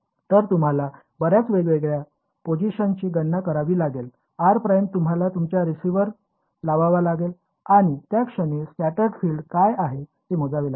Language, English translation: Marathi, So, you have to calculate at various several different positions r prime you have to put your receiver and calculate what is the scattered field at that point